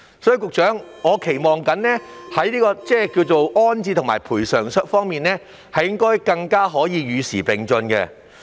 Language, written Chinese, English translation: Cantonese, 所以，局長，我期望在安置及賠償安排方面能更加與時並進。, And so Secretary I do hope that the arrangements for rehousing and compensation will keep abreast of the times